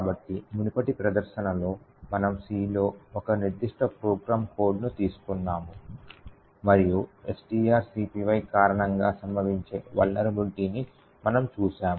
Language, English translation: Telugu, So, in the previous demonstration we had taken a particular code a program in C and we had actually looked at a vulnerability that was occurring due to string copy